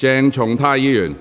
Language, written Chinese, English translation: Cantonese, 鄭松泰議員，請坐下。, Dr CHENG Chung - tai please sit down